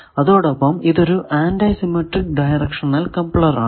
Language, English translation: Malayalam, Now, this is the symbol of directional coupler